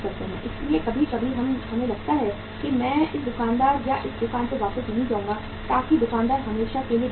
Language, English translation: Hindi, So sometime we feel that I will not come back to this shopkeeper or to this shop so that shopkeeper is losing the sales forever